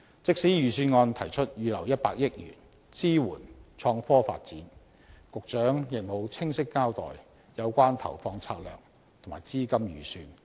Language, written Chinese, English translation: Cantonese, 即使預算案提出預留100億元支援創科發展，局長亦無清晰交代有關投放策略及資金預算。, Regarding the reserve of 10 billion for supporting IT development the Secretary has not clearly explained the allocation strategy and the budgetary estimate